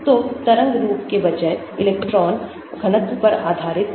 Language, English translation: Hindi, So, based on the electron density rather than the wave form